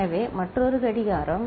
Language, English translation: Tamil, So, another clock